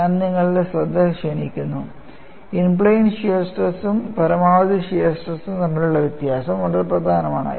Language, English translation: Malayalam, And I also drew your attention, a difference between in plane shear stress and maximum shear stress, very important